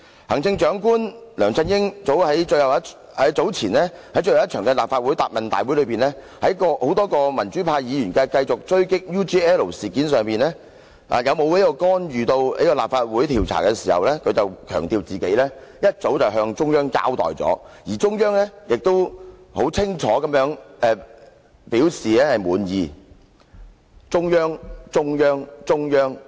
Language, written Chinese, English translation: Cantonese, 行政長官梁振英早前在最後一次立法會答問會上，眾多民主派議員繼續狙擊 UGL 事件，問他有否干預立法會調查，他當時強調，自己早已向中央交代，而中央亦清楚表示滿意。, At the last Question and Answer Session of the Legislative Council held earlier many democrats kept putting questions to Chief Executive LEUNG Chun - ying on the UGL incident asking him whether he had interfered with the Legislative Councils inquiry . He stressed that he had already explained to the Central Authorities and the Central Authorities had expressed satisfaction